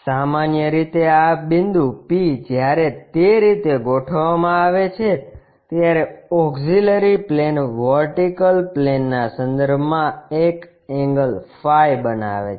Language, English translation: Gujarati, Usually, this point P when it is set up in that way the auxiliary plane makes an angle phi with respect to the vertical plane